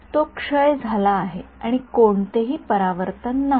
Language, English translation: Marathi, So, it has decayed and there is no reflection right